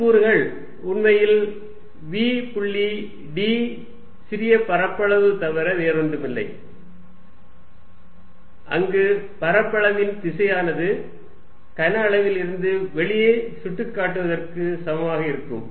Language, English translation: Tamil, And other components is actually nothing but v dot d small area where the direction of area is equal to pointing out of the volume